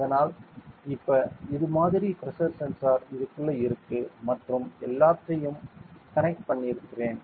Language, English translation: Tamil, So, it is like this now you can see that the pressure sensor is within this and I have connected everything